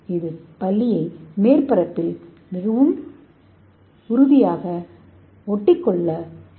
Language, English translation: Tamil, So that allow the lizards to stick it to the surface very strongly